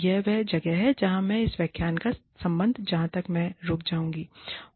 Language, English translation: Hindi, That is where, I will stop, as far as, this lecture is concerned